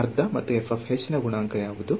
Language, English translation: Kannada, Half and what is the coefficient of f h